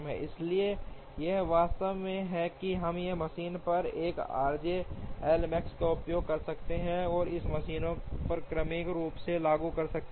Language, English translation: Hindi, Therefore, we are convinced that we can use the 1 r j L max on a single machine and apply it sequentially on the machines